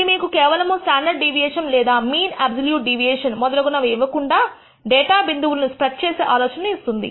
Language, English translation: Telugu, This gives you an idea better idea of the spread of the data than just giving you standard deviation or the mean absolute deviation and so on